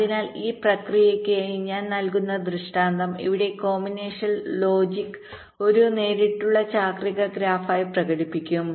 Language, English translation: Malayalam, so the illustration that i shall be giving for this process here, the combination logic, will be expressed as a direct ah cyclic graph